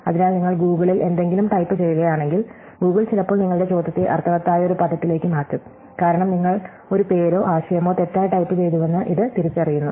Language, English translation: Malayalam, So, if you type something to Google, Google will sometimes change your query to a word which is meaningful, because it recognizes that you mistyped a name or a concept